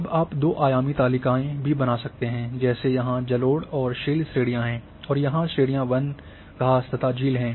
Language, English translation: Hindi, Now you can also go for two dimensional tables like here the categories are alluvial and shale, here the categories are forest,grass and lake